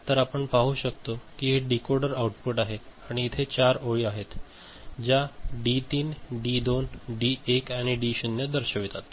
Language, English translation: Marathi, So, we can see this is the decoder output and these are the 4 lines right they signify the D3, D2, D1 and D naught right